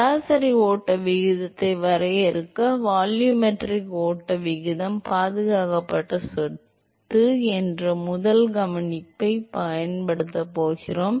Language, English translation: Tamil, In order to define the average flow rate, we are going to use the first observation that the volumetric flow rate is the conserved property